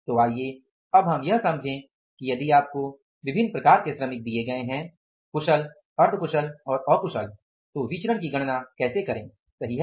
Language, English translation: Hindi, So let us now understand that if you are given the different type of the workers, skilled, semi skilled and unskilled, how to calculate the variances, right